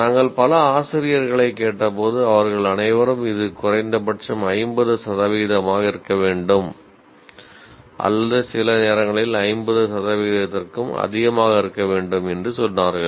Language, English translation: Tamil, When we ask several teachers, they all say at least it should be, the minimum should be 50 percent or sometimes they say more than 50 percent